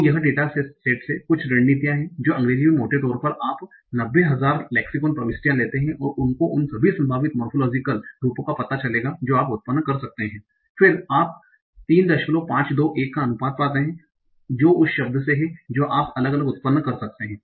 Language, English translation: Hindi, So this is some statistic from a data set that in English there are roughly you take 90,000 lexical entries and if you find all the possible morphological forms that you can generate, you find a ratio of 3